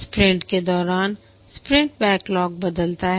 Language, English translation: Hindi, This is called as a sprint backlog